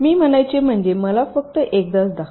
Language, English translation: Marathi, so what i mean to say is that let me just show you once